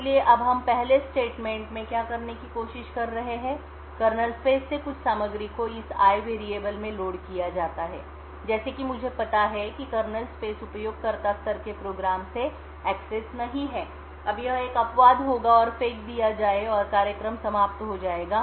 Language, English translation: Hindi, So now what we are trying to do in the first statement is load some contents from the kernel space into this variable called i, so as we know that the kernel space is not accessible from a user level program, now this would result in an exception to be thrown and the program would terminate